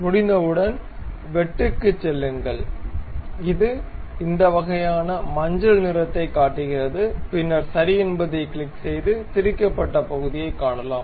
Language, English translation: Tamil, Once it is done go to swept cut it shows this kind of yellowish tint, then click ok, then you see the threaded portion